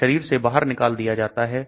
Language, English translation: Hindi, It gets eliminated from the body